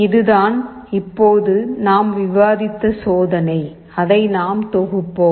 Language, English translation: Tamil, This is the experiment that we have discussed now, let us compile it